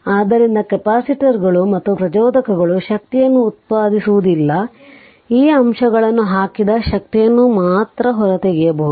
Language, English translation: Kannada, So, capacitors and inductors do not generate energy only the energy that has been put into these elements and can be extracted right